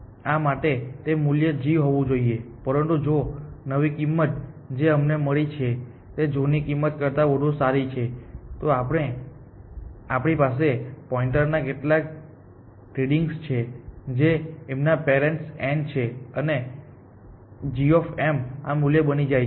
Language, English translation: Gujarati, So, it is must be having a g value, but if this new cost that we have found is better than the old cost, then we have to do some readjusting of pointer which is that parent of m becomes n and g of m becomes this value